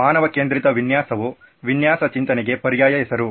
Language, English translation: Kannada, Human centered design is an alternate name for design thinking